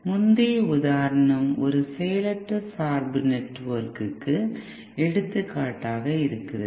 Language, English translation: Tamil, Now the previous example was an example of what we called as passive bias network